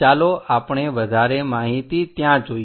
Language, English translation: Gujarati, Let us look at more details there